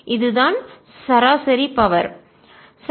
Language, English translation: Tamil, the average power